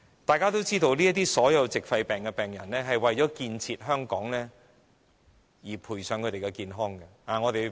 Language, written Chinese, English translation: Cantonese, 大家也知道，所有這些矽肺病人都為了建設香港而賠上健康。, As we all know all these pneumoconiosis patients contributed to Hong Kong at the expense of their health